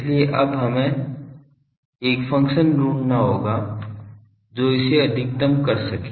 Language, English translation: Hindi, So, we can now we have to find a function that which can maximise this